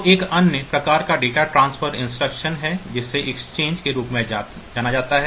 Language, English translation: Hindi, So, there is another type of data transfer instruction which which is known as the exchange